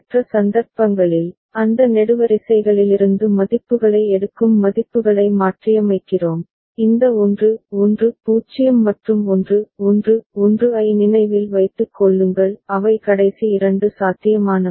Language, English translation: Tamil, For other cases, we are just substituting the values taking the values from those columns and remember this 1 1 0 and 1 1 1 those were not there those last two possible